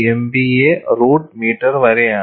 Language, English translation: Malayalam, 75 MPa root meter per second